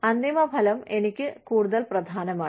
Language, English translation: Malayalam, The end result is more important for me